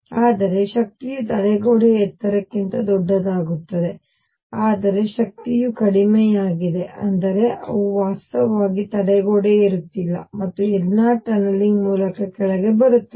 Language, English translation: Kannada, So, the energy would be larger than the barrier height, but the energy is lower; that means, they are not actually climbing the barrier and coming down there all tunneling through